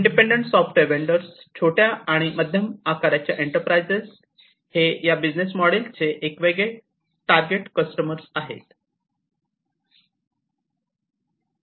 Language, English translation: Marathi, Independent software vendors, small and medium medium sized enterprises, they are the different target customers of this kind of business model